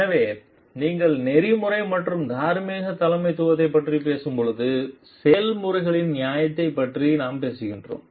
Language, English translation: Tamil, So and when you are talking of ethical and moral leadership we are talking about the fairness of the processes